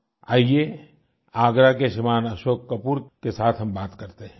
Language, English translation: Hindi, Come let us speak to Shriman Ashok Kapoor from Agra